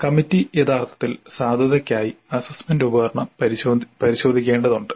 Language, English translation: Malayalam, So the committee is supposed to actually check the assessment instrument for validity